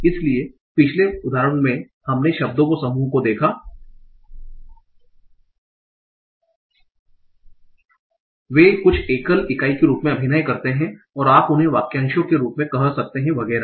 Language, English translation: Hindi, So in the last example we saw that a group of words, right, they are acting as some single unit and you can call them as phrases, clauses, etc